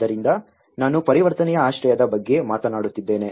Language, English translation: Kannada, So, I am talking about the transitional shelter